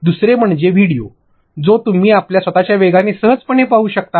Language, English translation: Marathi, Second is videos, when you can sit back and simply watch it at your own speed, your own time